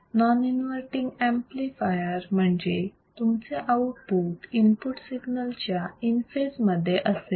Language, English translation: Marathi, Non inverting amplifier means your output would be in phase with the input in phase that means